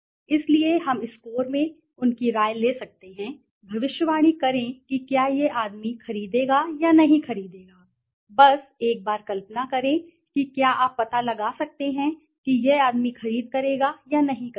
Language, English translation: Hindi, So by taking his opinion in score we can predict whether this man would purchase or not purchase, just imagine once if you can find out this man would purchase or not purchase